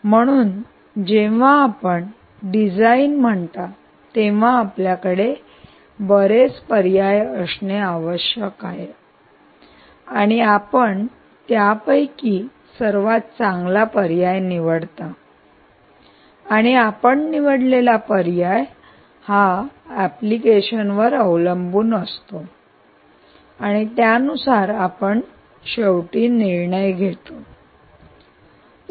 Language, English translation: Marathi, so when you say design, you must have many choices, many design choices, and you pick the best choice, and the choice, the way you pick, will depend on the kind of application that you have in mind and, based on that is what you would ultimately decide